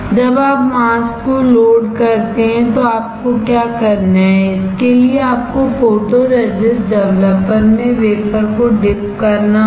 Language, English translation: Hindi, When you load the mask then you what you have to do, you have to dip the wafer in photoresist developer